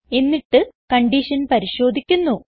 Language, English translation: Malayalam, And then, the condition is checked